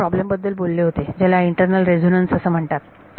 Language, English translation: Marathi, I mentioned one problem which is called internal resonances